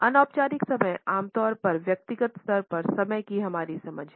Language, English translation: Hindi, Informal time is normally our understanding of time at a personal level